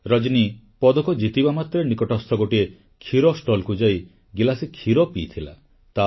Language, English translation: Odia, The moment Rajani won the medal she rushed to a nearby milk stall & drank a glass of milk